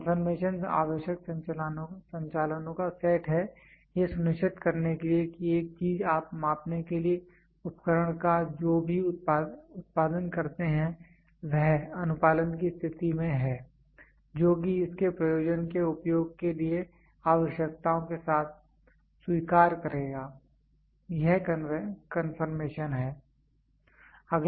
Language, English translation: Hindi, Confirmation the set of operations required to ensure that an item whatever you produce of measuring equipment is in a state of a compliance which will accept with requirements for its intend use, that is confirmation